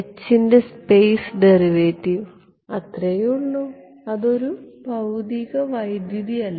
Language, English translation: Malayalam, The space derivative of h that is all it is not a physical current ok